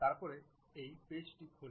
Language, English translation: Bengali, Then this page opens up